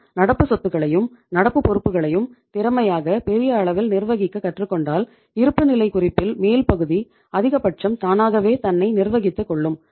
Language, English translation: Tamil, And if you are able to efficiently manage your current assets and current liabilities to a larger extent upper part of the balance sheet will be automatically managed or managed to a maximum possible extent